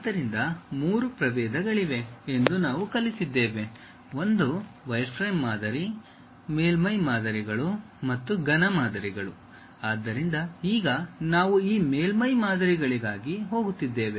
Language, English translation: Kannada, So, we learned about there are three varieties: one wireframe model, surface models and solid models; so, now, we are going for this surface models